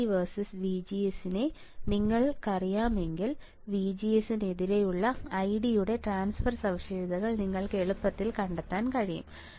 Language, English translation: Malayalam, If you know ID versus VDS you can easily find transfer characteristics of ID versus VGS